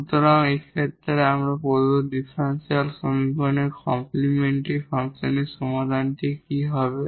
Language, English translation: Bengali, So, in this case what will be the solution the complementary function of the given differential equation